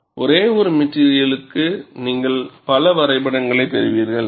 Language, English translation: Tamil, For one single material you get so many graphs